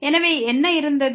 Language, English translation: Tamil, So, what was